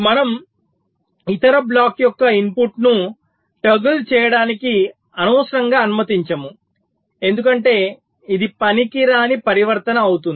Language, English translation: Telugu, so we are not unnecessarily allowing the input of the other block to toggle, because this will be use useless transition